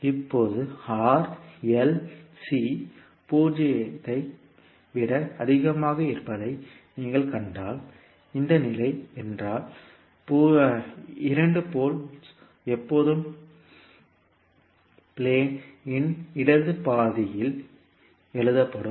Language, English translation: Tamil, Now if you see that the R, L, C is greater than 0, when, if this is the condition the 2 poles will always write in the left half of the plane